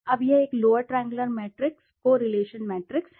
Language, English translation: Hindi, Now this is a lower triangular matrix, correlation matrix